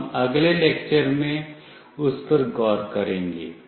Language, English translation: Hindi, We will look into that in the next lecture